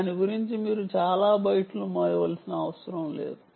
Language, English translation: Telugu, you dont need to carry many bytes